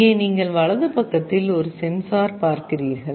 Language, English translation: Tamil, Here you see a sensor on the right side